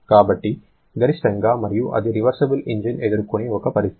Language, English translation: Telugu, So, the maximum and this is a situation for a reversible engine